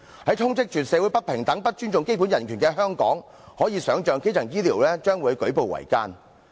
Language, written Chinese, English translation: Cantonese, 在充斥社會不平等、不尊重基本人權的香港，可以想象基層醫療將會舉步維艱。, In Hong Kong which is flooded with social inequalities and where basic human rights are not respected we can imagine the difficulties in developing primary health care services